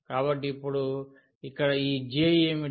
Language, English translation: Telugu, So, now what is this J here